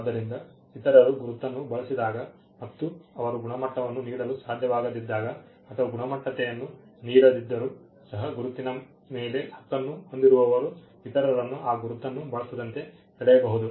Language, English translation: Kannada, So, when others use the mark and they are not able to give the quality, even if they give the qualities still the mark holder can come and stop others from using it